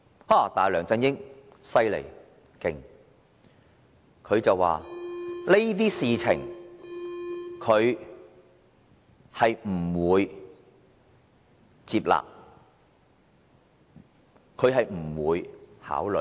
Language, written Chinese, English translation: Cantonese, 可是，梁振英真厲害，他表示這些事情他不會接納，不會考慮。, How terrific LEUNG Chun - ying is . He said he would neither accept nor consider any of these